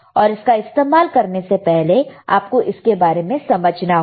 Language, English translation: Hindi, And before we use this equipment we should know about this equipment